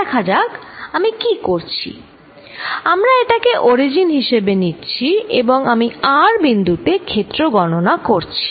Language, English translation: Bengali, Let us see, what we are doing, we are taking this as the origin, I am calculating field at a point r